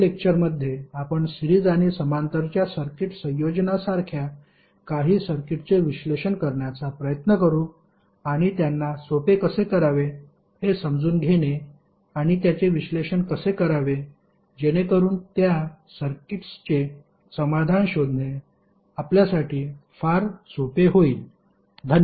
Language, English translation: Marathi, In next session we will to try to analyze some other circuits which are like a circuit combination of series and parallel and how to make them easier to understand and how to analyze so that it is very easy for us to find the solution of those circuits